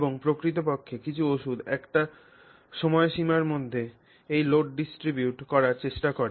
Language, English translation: Bengali, And in fact, some of the medicines in fact try to distribute this load across the time frame